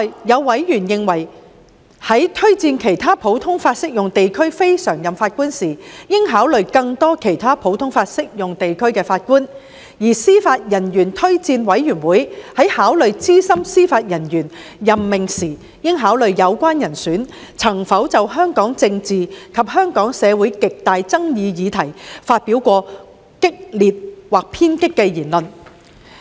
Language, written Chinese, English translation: Cantonese, 有委員亦認為，在推薦其他普通法適用地區非常任法官時，應考慮更多其他普通法適用地區的法官，而司法人員推薦委員會在考慮資深司法人員任命時，應考慮有關人選曾否就香港政治及香港社會極大爭議議題，發表激烈或偏激的言論。, Members also held that in recommending the appointment of NPJs from other common law jurisdictions CLNPJs consideration should be given to judges from more other common law jurisdictions . When making recommendations regarding senior judicial appointments the Judicial Officers Recommendation Commission should consider whether the candidates concerned have made vigorous or radical remarks about Hong Kongs politics and our societys highly controversial issues